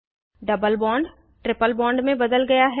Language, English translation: Hindi, The double bond is converted to a triple bond